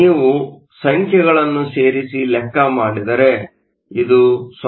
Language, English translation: Kannada, You can put in the numbers and this is 0